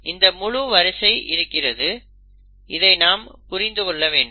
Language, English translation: Tamil, And then it has this whole sequences, we need to make sense of this sequence